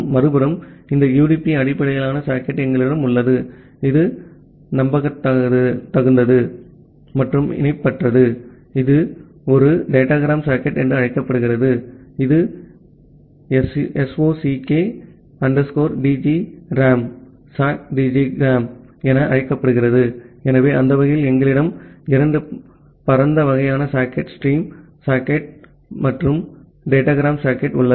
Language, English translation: Tamil, On the other hand, we have this UDP based socket which is unreliable and connectionless that we call as a datagram socket, which is termed as SOCK DGRAM, so that way we have two broad kind of socket, stream socket and the datagram socket